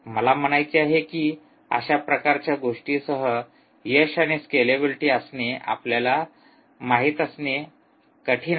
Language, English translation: Marathi, i mean its hard to, you know, to get to have success and scalability with that kind of thing